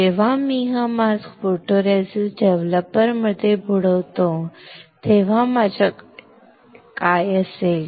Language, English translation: Marathi, When I dip this mask in photoresist developer what will I have